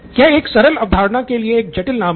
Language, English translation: Hindi, Now it is a complicated name for a simple concept